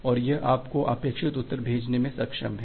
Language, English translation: Hindi, And it is able to send you back with the required reply